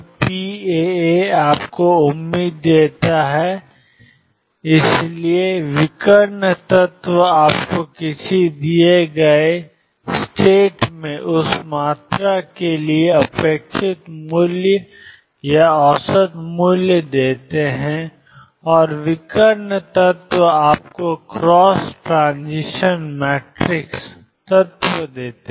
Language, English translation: Hindi, So, p alpha alpha gives you the expectation the; so, diagonal elements give you the expectation value or the average value for that quantity in a given state and of diagonal elements give you cross transition matrix elements